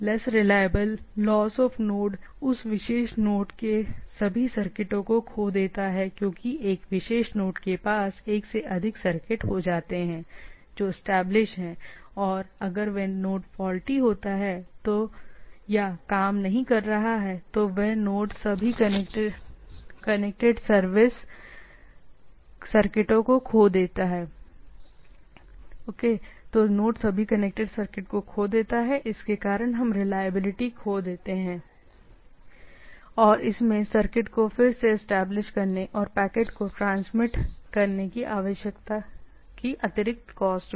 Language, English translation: Hindi, Less reliable, loss of node loses as the all the circuits to that particular node and because a particular node can have more than one circuit which is established, and if that particular node is faulty or not working, then all the circuits to the node is lost it goes for not only reliability, it also have extra cost of reestablishing the country circuit and transmitting the things